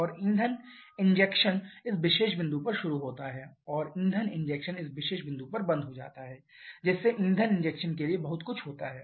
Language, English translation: Hindi, And fuel injection starts at this particular point and fuel injection closes at this particular point thereby giving a span of this much for fuel injection